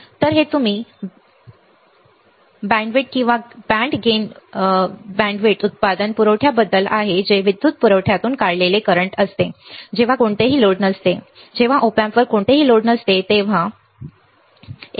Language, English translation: Marathi, So, this is about your band width or band gain bandwidth product supply current the current drawn from the power supply when no load of the, when no load on the Op amp is call your